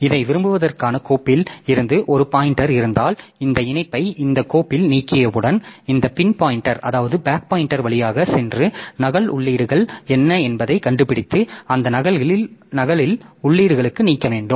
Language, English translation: Tamil, So, apart from this one, so if I also have a pointer from the file to like this, then once this file is deleted by this link then we go by this back pointers to figure out like what are the duplicate entries and delete those duplicate entries also